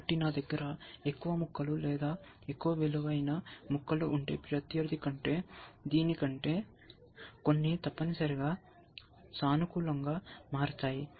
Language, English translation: Telugu, So, if I have more pieces or more valuable pieces, than the opponent, than this, some will become positive essentially